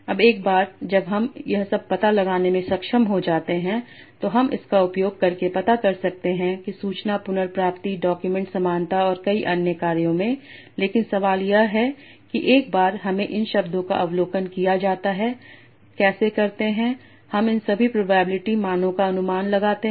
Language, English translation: Hindi, Now once I am able to infer all this I can use this to find out say to use to for information retrieval document similarity and many other tasks but the question is once I'm given these observations of the of the words how do I infer all these probability value so so there are different ways of doing that so we will discuss about one such method in the next lecture